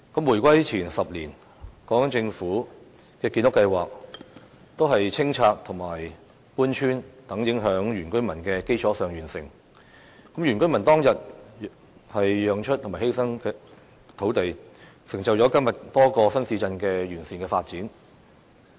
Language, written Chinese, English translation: Cantonese, 回歸前10年，港英政府的建屋計劃是在清拆、搬村等影響原居民的基礎上完成的，原居民當天的讓步和犧牲土地成就了今天多個新市鎮的完善發展。, Ten years before the reunification the British Hong Kong administration accomplished its housing construction plans on the basis of demolishing and relocating villages and this has affected our indigenous villagers . The concessions made by indigenous villagers and also the lands they sacrificed years back have enabled the comprehensive development of many new towns today